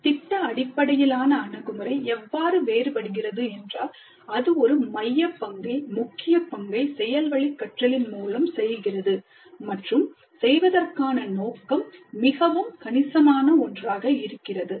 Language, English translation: Tamil, The project based approach is different in that it accords a very central role, a key role to learning by doing and the scope of doing is quite substantial